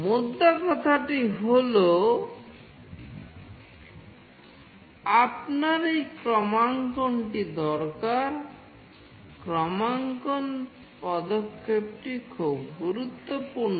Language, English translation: Bengali, The point is you need this calibration, the calibration step is really very important